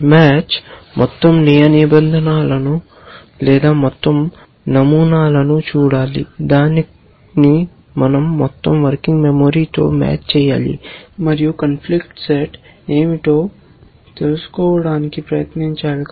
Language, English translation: Telugu, Match has to look at the entire set of rules or the entire set of patterns we have compare it with the entire working memory and try to find out what is the conflict set it is